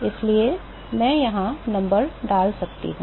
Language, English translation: Hindi, So, I can put the numbers here